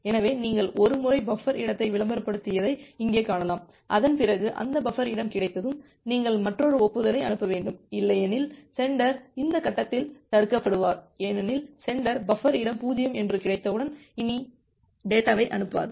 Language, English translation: Tamil, So, here you can see that once you are advertising buffer space 0, after that, once that buffer space becomes available, you need to send another acknowledgement, otherwise, the sender will get blocked at this stage because the sender; once it gets that the buffer space is 0, it will not send anymore data